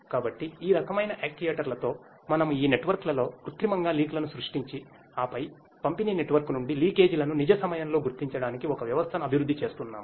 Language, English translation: Telugu, So, with this the kind of actuators we have we artificially create leaks in these networks and then developing a system for the real time detection of the leakages from the distribution network